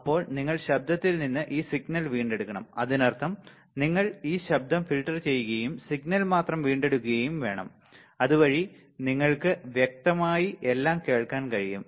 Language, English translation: Malayalam, Then you have to retrieve this signal from the noise right that means, you have to filter out this noise and retrieve only the signal, so that you can hear it clearly all right